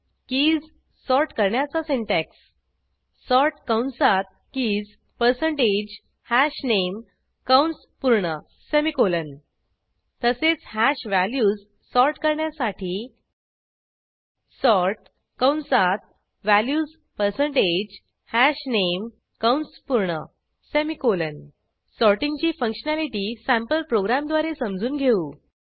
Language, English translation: Marathi, Syntax to sort keys is sort open bracket keys percentage hashName close bracket semicolon Similarly, we can sort hash values as sort open bracket values percentage hashName close bracket semicolon Let us understand sorting functionality using a sample program